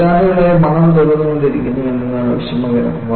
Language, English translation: Malayalam, The pity was, the smell was coming for decades